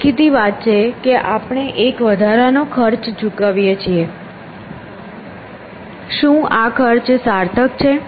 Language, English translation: Gujarati, So obviously, we are paying an extra cost, is this cost worthwhile